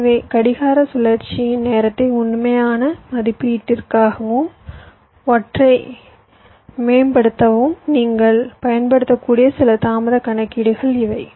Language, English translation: Tamil, ok, so these are some delay calculation you can use to actual estimate the clock cycle time and to improve or or optimise one